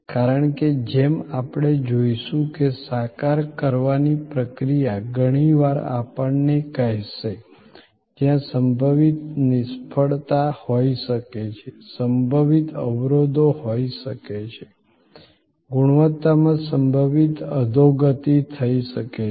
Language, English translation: Gujarati, Because, as we will see that process of visualization will often tell us, where the possible failure can be, possible bottlenecks can be, possible degradation of quality can occur